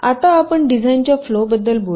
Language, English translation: Marathi, ok, let us now talk about the design flow